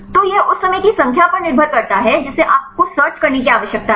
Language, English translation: Hindi, So, that depends on the number of times you need to do the searching right